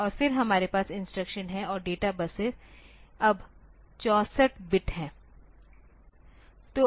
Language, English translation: Hindi, Then we have the instruction and data buses are now 64 bit ok